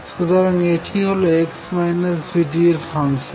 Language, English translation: Bengali, So, this is a function of x minus v t